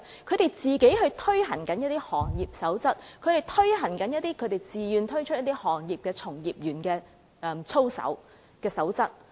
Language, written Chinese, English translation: Cantonese, 他們自行推行一些行業守則，更自願推行一些行業從業員的操守守則。, They will introduce some code of practice for the industry of their own accord and they will voluntarily introduce some rules of practices for practitioners in the industry